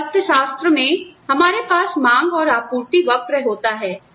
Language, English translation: Hindi, So, in economics, you have the demand and supply curve